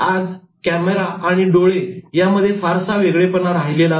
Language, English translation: Marathi, Today, there is no distinction between the eye and the camera